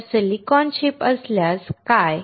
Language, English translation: Marathi, So, what if there is a silicon chip